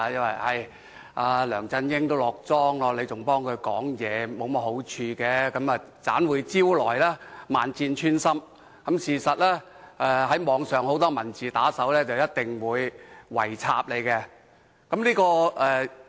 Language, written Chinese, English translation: Cantonese, 他們說，梁振英即將"落莊"，替他說話沒甚麼好處，只會招來萬箭穿心，被網上很多文字打手"圍插"。, They said that since LEUNG Chun - ying is about to step down it would not do us any good to speak in favour of him . We will only be attacked online viciously by thuggish writers